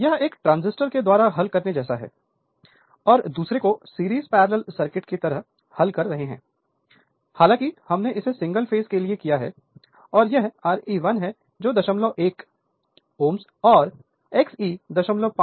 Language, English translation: Hindi, It is something like your solving apart from this transistor and other solving like a series parallel circuit, though we have done it for a single phase and this is R e 1 that is 0